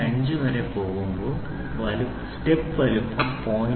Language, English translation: Malayalam, 5 the step size is 0